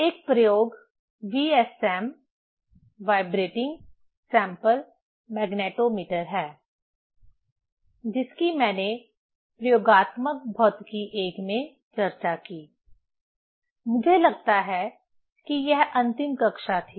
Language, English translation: Hindi, One experiment VSM, Vibrating Sample Magnetometers I discussed in experimental physics I; I think it was the last class